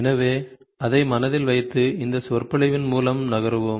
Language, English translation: Tamil, So, keeping that in mind we will move through this lecture